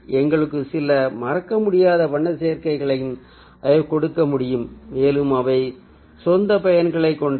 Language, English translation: Tamil, they have no harmony, but they can also give us some memorable color combinations and they have their own uses